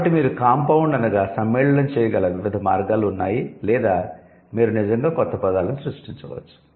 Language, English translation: Telugu, So, there are different ways by which you can compound or you can actually create new words